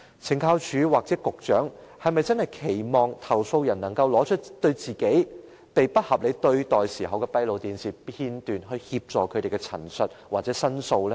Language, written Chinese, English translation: Cantonese, 懲教署或局長，是否真的期望投訴人可以拿出自己被不合理對待時的閉路電視片段，以協助證實他們的陳述或申訴呢？, Does CSD or the Secretary really expect a complainant to be able to produce closed - circuit television footages capturing the unreasonable treatment on them as proof to support his representation or complaint?